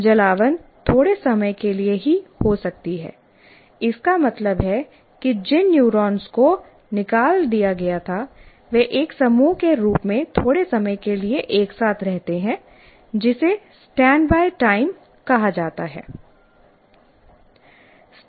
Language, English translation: Hindi, That means, that group of neurons which have fired, they stay together as a group for a brief time, which is called standby time